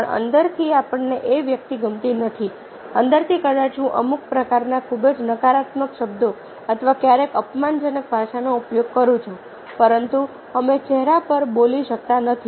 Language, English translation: Gujarati, from within perhaps i am using some sort of very negative words or sometimes abusive language, but we cannot to speak on the face